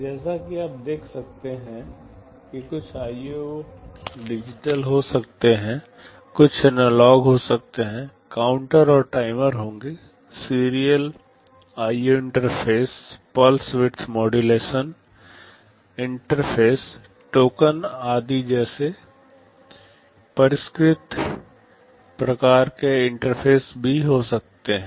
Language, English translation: Hindi, As you can see some of the IO can be digital, some may be analog; there will be counters and timers, and there can be sophisticated kinds of interface also, like serial IO interfaces, pulse width modulated interfaces, interrupt etc